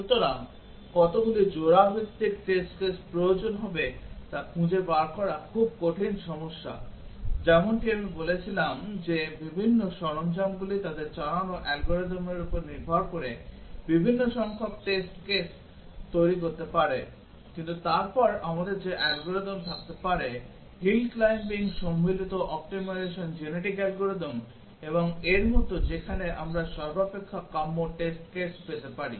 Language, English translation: Bengali, So, finding how many pair wise test cases will be required, a very hard problem, as I said that different tools can even generate different number of test cases depending on the algorithm they run, but then we can have algorithms that hill climbing combinatorial optimization like genetic algorithms and so on where we might get near optimal test cases